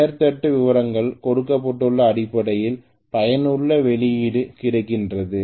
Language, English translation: Tamil, So I should assume that the name plate details are given that is essentially useful output